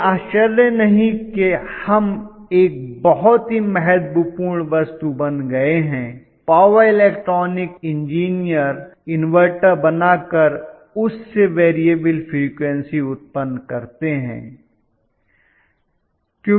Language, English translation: Hindi, No wonder we have become a very important commodity, power electronic engineer, who make inverters, who basically generate variable frequency